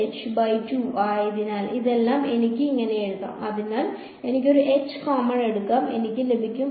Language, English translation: Malayalam, So, this whole thing I can write as; so, I can take an h common, I will get